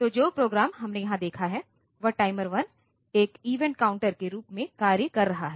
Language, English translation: Hindi, So, the program that we have seen here the timer 1 is acting as an event counter